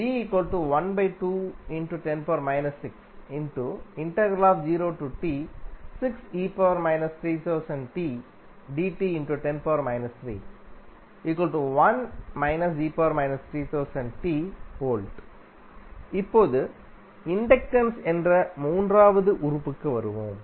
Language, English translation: Tamil, Now, let us come to the third element that is inductance